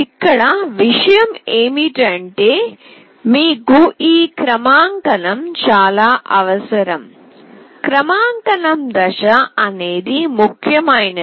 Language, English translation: Telugu, The point is you need this calibration, the calibration step is really very important